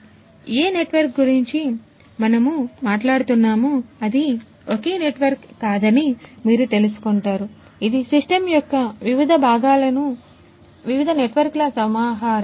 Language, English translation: Telugu, So, which network many many cases you will find that it is not a single network that we are talking about, it is a collection of different different networks in the different parts of the system